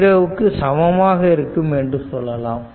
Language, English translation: Tamil, So, i is equal to 0 right